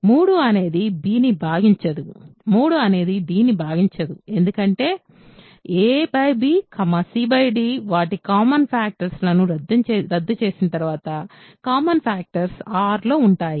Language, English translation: Telugu, 3 does not divide b; 3 does not divide d because a by b c by d in their simple forms after cancelling common factors are in R